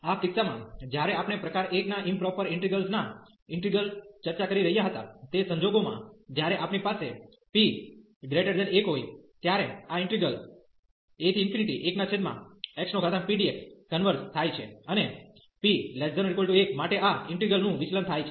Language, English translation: Gujarati, In this case, when we were discussing the integral of improper integrals of type 1; in that case this integral 1 over x power p converges when we have p greater than 1, and this integral diverges for p less than equal to 1